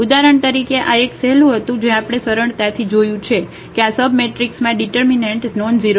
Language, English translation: Gujarati, For example, this was a easy we have easily seen that this submatrix has determinant nonzero